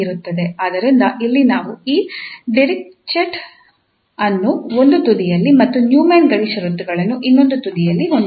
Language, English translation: Kannada, So here we have these Dirichlet at one end and the Neumann boundary conditions at other end